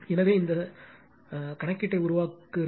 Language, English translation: Tamil, So, it just make this calculation